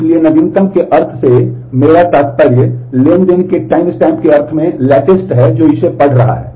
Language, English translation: Hindi, So, by the sense of latest what I mean is the latest in the sense of the timestamp of the transaction that is reading it